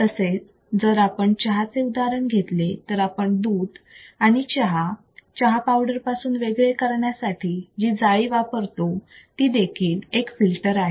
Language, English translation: Marathi, So, same way if we talk about example of a tea, then the mesh that we use to filter out the milk or the tea from the tea leaves, there is a filter